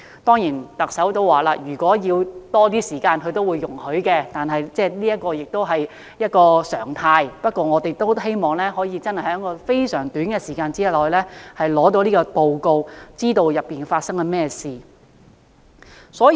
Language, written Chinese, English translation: Cantonese, 當然，特首曾表示會容許花更長的時間，但短時間完成是常態，而我們也希望可以在非常短的時間內取得報告，知道當中發生了甚麼事情。, The Chief Executive has of course stated that more time would be allowed but it is the norm for an inquiry to be completed within a short time frame . We also hope to obtain a report expeditiously to enable us to have a full grasp of what has happened